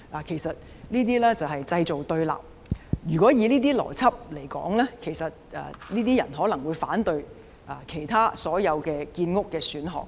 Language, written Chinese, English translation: Cantonese, 其實，這些就是製造對立，如果根據這種邏輯，這些人可能會反對其他所有建屋選項。, In fact they are creating conflicts . Going by this logic they may also oppose all the other housing options as well